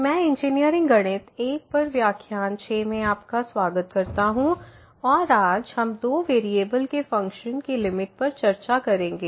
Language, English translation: Hindi, I welcome to the 6th lecture on Engineering Mathematics I and today, we will discuss Limit of Functions of Two variables